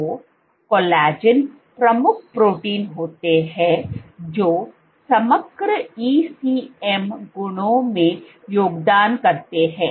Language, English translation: Hindi, So, collagens are the major proteins which contribute to the overall ECM properties